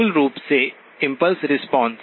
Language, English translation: Hindi, Basically the impulse response